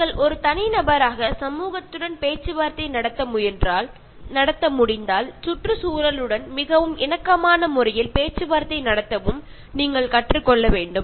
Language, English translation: Tamil, And when you are able to negotiate with the society as an individual, you should also learn to negotiate in a very harmonious manner with the environment